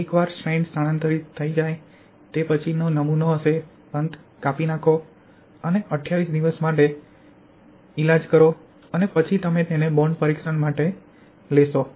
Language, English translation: Gujarati, Once the stress is transferred specimen will be cut at the end and allowed to cure for 28 days, then you will take the specimen for bond testing